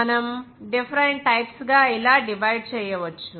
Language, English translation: Telugu, We can divide into different types like this